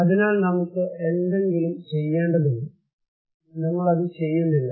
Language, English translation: Malayalam, So, we need something to do and we are not doing it